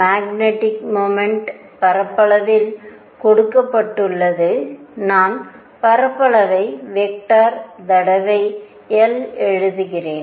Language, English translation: Tamil, Magnetic moment is given by area, I am writing area as a vector times I